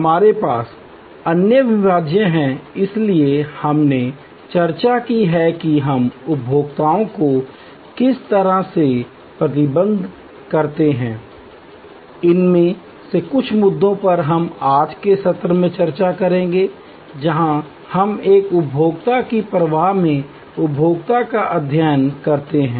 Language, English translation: Hindi, We have the other one inseparability, so we have discuss about how we kind of manage consumers, some of these issues we will discuss in today's session, where we study consumer in a services flow